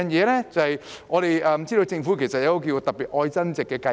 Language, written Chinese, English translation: Cantonese, 第二，我們知道政府推出了一項"特別.愛增值"計劃。, Secondly we know that the Government has introduced the Love Upgrading Special Scheme